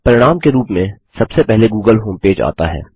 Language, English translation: Hindi, The google homepage comes up as the first result